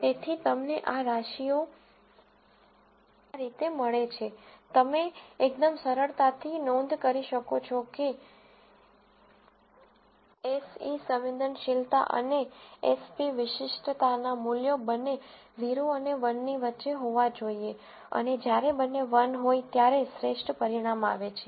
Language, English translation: Gujarati, So, you get this ratio to be this, you can quite easily notice that the values of Se sensitivity and Sp speci city will both have to be between 0 and 1 and the best result is when both are 1